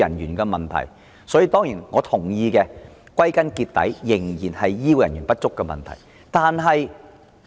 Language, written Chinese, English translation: Cantonese, 歸根究底，我當然認同這仍然是醫護人員不足的問題。, Ultimately I certainly agree that this still boils down to the shortage of health care workers